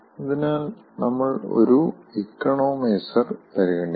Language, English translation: Malayalam, so what is an economizer